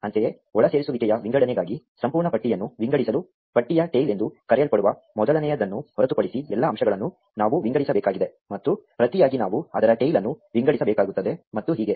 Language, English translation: Kannada, Similarly, for insertion sort, in order to sort the full list, we need to sort all the elements excluding the first one what is called the tail of the list, and in turn we need to sort its tail and so on